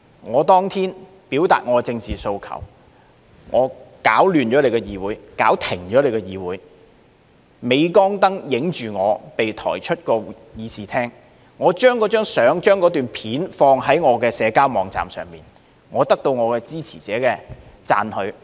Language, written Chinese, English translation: Cantonese, 他當天表達其政治訴求，攪亂了議會、搞停了議會，在鎂光燈拍下他被抬出議事廳，然後他將那張相、那片段放在社交網站上，得到其支持者的讚許。, Their intention is to create a mess in the legislature and bring it to a standstill as a means to advance their political aspirations . If they are captured by the camera how they have been taken away from the Chamber they will upload the relevant photographs or video clips onto their social media accounts afterwards in order to get likes from supporters